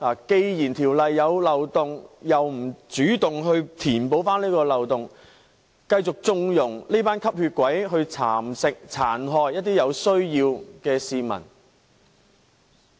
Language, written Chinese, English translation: Cantonese, 既然《條例》有漏洞，政府卻不主動填補，並繼續縱容"吸血鬼"蠶食和殘害一些有需要的市民。, Despite the existence of loopholes in the Ordinance the Government has failed to take the initiative to plug them and instead continued to connive at the vampires eating and maiming some people in need